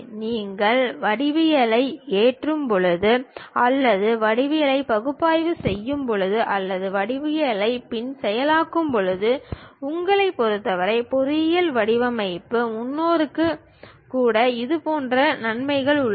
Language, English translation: Tamil, It has its own advantages like when you are loading the geometry or perhaps analyzing the geometry or perhaps post processing the geometry not only in terms of you, even for engineering design perspective